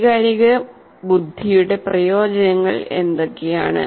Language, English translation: Malayalam, And what are the benefits of emotional intelligence